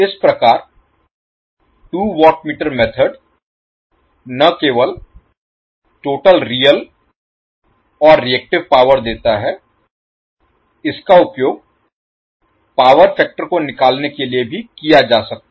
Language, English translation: Hindi, So what you can say that the two watt meter method is not only providing the total real power, but also the reactive power and the power factor